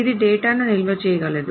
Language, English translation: Telugu, It can of course store data